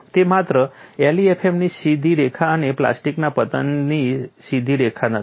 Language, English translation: Gujarati, It is not simply a straight line from LEFM and straight line from plastic collapse